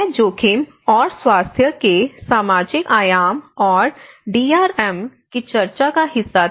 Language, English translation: Hindi, And I was in one of the discussion where the social dimension of risk and health and DRM